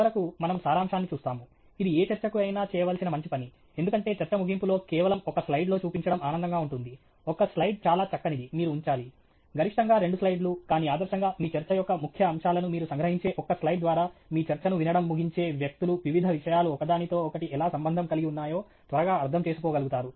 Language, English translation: Telugu, And finally, we will do a summary, which is the good thing to do for any talk, because a towards the end of the talk, it’s nice to show in just may be a one slide, one slide is pretty much all you should put up, maximum two slides, but ideally one slide in which you sort of summarize the key aspects of your talk, so that people who finish listening to your talk are able to, you know, quickly get an understanding of how various things relate to each other